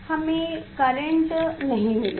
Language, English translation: Hindi, we will not get current